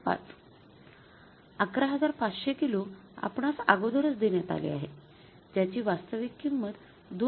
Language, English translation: Marathi, 5 minus 11500 kgs which is given to us already and the actual price is 2